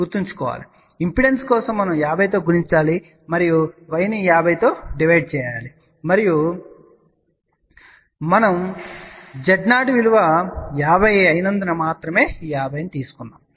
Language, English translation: Telugu, Remember in impedance, we have to multiply with 50 and in y we have to divided by 50 and again this 50 is only because our Z 0 was 50